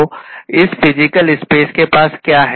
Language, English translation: Hindi, So, what does this physical space have, right